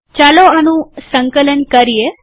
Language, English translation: Gujarati, Lets compile this